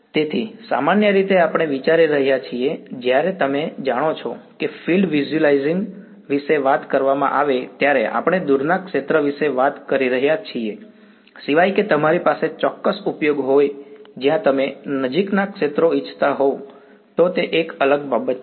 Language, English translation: Gujarati, So, usually we are considering we when the talk about visualizing fields you know we are talking about far field unless you have a specific application where you want near fields, then that is a different thing